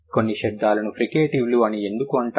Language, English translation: Telugu, Why certain sounds are known as fricatives